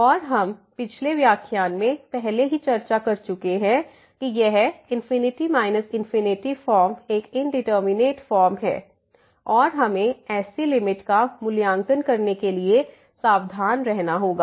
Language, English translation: Hindi, And we have already discussed in the last lecture that this infinity minus infinity form is an indeterminate form and we have to be careful to evaluate such limits